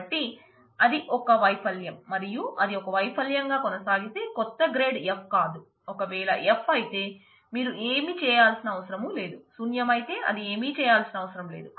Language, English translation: Telugu, So, if it was failure, and if it continues to be failure, new grade is not f; if it is f then you do not have to do anything; if it is null it do not have to do anything